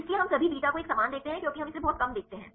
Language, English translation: Hindi, So, we see the same all beta as we see this very less